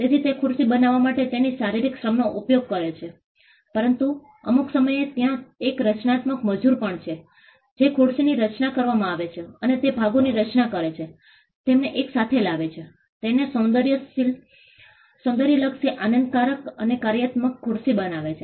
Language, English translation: Gujarati, So, he exercises his physical labor in creating the chair, but at some point, there is also a creative labor that goes in designing the chair and it constituting the parts, bringing them together and making it into an aesthetically pleasing and a functional chair